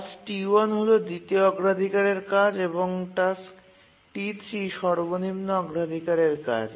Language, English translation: Bengali, Task T1 is the second highest priority task and task T3 is the lowest priority